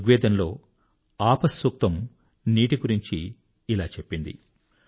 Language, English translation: Telugu, Rigveda'sApahSuktam says this about water